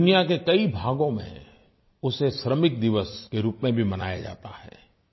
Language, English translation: Hindi, In many parts of the world, it is observed as 'Labour Day'